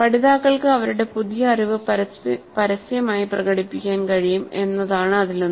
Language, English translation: Malayalam, One of the things can be that learners can publicly demonstrate their new knowledge